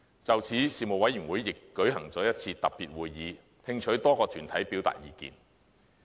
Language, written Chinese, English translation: Cantonese, 就此，事務委員會亦舉行了一次特別會議，聽取多個團體表達意見。, In this connection the Panel held a special meeting to receive public views from a number of deputations